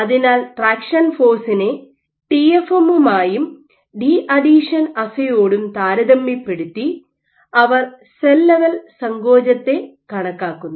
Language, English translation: Malayalam, So, compared to traction force to both TFM and these deadhesion assay, they kind of estimate the whole cell level contractility